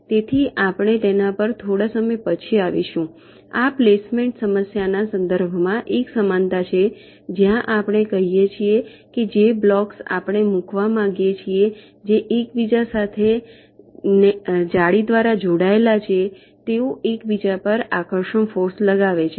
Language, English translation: Gujarati, this is a analogy with respect to the placement problem, where we say that the blocks that we want to place, which are connected to each other by nets, they exert attractive forces on each other